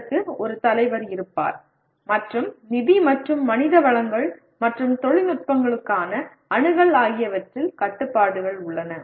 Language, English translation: Tamil, There will be a leader for that and there are constraints in terms of financial and human resources and access to technologies